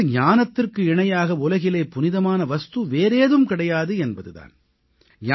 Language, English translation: Tamil, Meaning, there is nothing as sacred as knowledge in this world